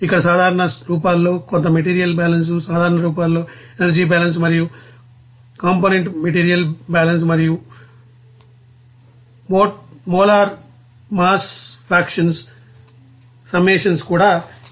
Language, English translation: Telugu, Here it is given some material balance in general forms, in energy balance in general forms and component material balance also and summation of you know molar mass fractions to be there